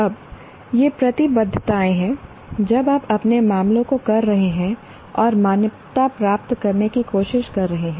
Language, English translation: Hindi, Now, these are the commitments now as a when you are doing your affairs and trying to get accredited and so on